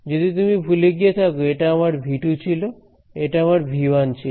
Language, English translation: Bengali, So, if in case you forgot this was my V 2 and this is my V 1 right